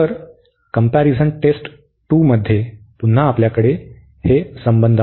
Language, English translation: Marathi, So, the comparison test 2 was again we have these relations